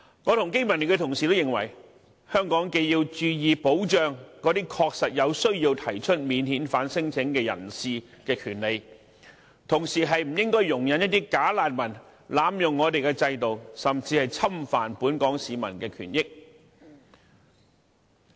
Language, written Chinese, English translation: Cantonese, 我和經民聯的同事均認為，香港既要注意保障那些確實有需要提出免遣返聲請的人士的權利，同時亦不應容許"假難民"濫用我們的制度，甚至侵犯本港市民的權益。, I and fellow Members belonging to BPA all consider that apart from paying attention to the rights of non - refoulement claimants which are truly needy Hong Kong should not allow bogus refugees to abuse our system and even infringe the rights and benefits of Hong Kong people